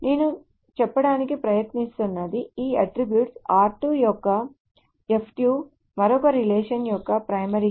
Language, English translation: Telugu, So what I am trying to say is this attribute the F2 of R2 is the primary key of another relation